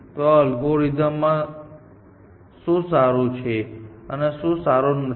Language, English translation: Gujarati, So, what is good about this algorithm and what is not good about this algorithm